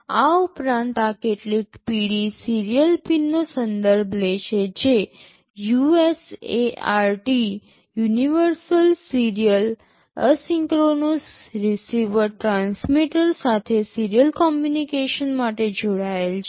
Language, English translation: Gujarati, In addition these yellow ones refer to some serial pins that are connected to USART – universal serial asynchronous receiver transmitter for serial communication